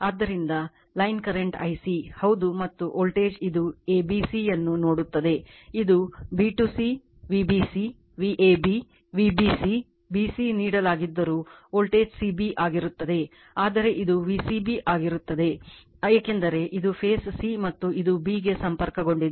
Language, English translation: Kannada, So, line current is I c , yeah and your voltage it looks at the a b c , it looks at voltage c b right although b to c, V b c, V a b, V b c b c is given, but it will be V c b because this is the phase c and this is connected to b